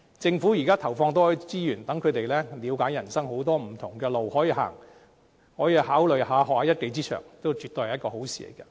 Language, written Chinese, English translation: Cantonese, 政府現在投放多一些資源，讓他們能了解人生有很多不同的路可走，可考慮學習一技之長，這也絕對是一件好事。, It is absolutely a good thing for the Government to invest more resources for them to understand the various paths that they can take in life and for them to consider learning a skill